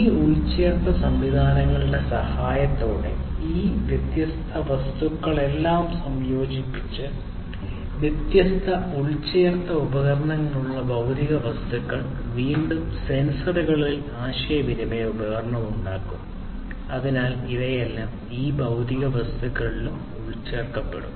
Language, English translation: Malayalam, By the help of these embedded systems, fitting all of these different objects, the physical objects with different embedded devices, which again will have sensors communication device, and so on; so all of these are going to be you know embedded into each of these physical objects